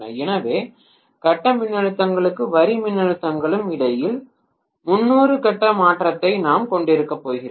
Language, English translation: Tamil, So we are going to have essentially a 30 degree phase shift between the phase voltages and line voltages